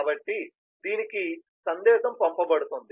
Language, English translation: Telugu, so the message is sent to this